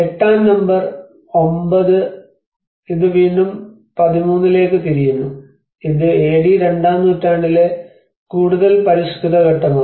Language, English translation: Malayalam, \ \ And number 8, 9 this also again goes back to 13 which is more refined stage in the second century AD